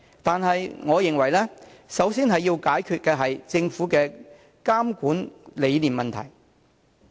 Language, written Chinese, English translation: Cantonese, 但是，我認為首先要解決的問題是政府的監管理念。, Yet I think we should first resolve the problem concerning the philosophy of supervision of the Government